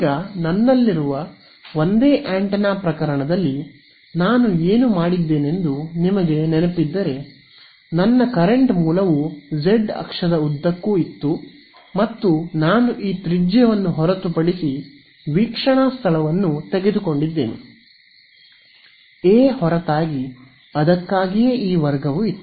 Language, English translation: Kannada, Now, in the single antenna case over here, if you remember what I done was that my current source was along the z axis and I has taken the observation point to be this radius apart; a apart right, that is why this a squared was there